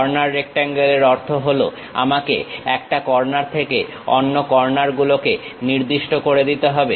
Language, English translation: Bengali, Corner rectangle means I have to specify one corner to other corner